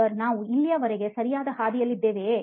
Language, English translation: Kannada, Sir are we on the right track till now